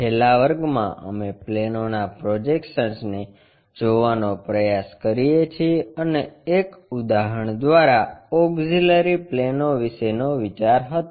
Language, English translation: Gujarati, In the last class, we try to look at projection of planes and had an idea about auxiliary planes through an example